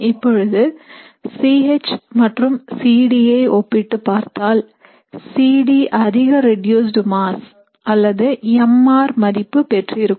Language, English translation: Tamil, So in the case of C H versus C D, what you would see is C D will have a greater reduced mass or mr value